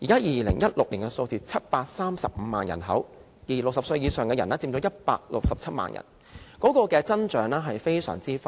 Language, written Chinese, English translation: Cantonese, 2016年 ，735 萬人口 ，60 歲以上的人佔167萬人，增長非常快。, In 2016 the population was 7.35 million of which those aged 60 and above made up 1.67 million . The growth has been most rapid